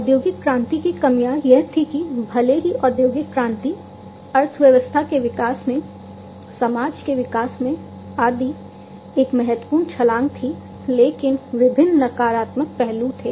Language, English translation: Hindi, The drawbacks of industrial revolution was that even though industrial revolution was a significant leap in the growth of economy, in the growth of city society, and so, on there were different negative aspects